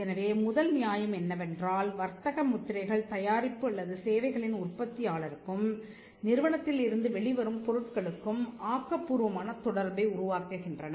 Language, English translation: Tamil, So, the first justification is that, trademarks create creative association between the manufacturer of the product or services and with the goods that come out of the enterprise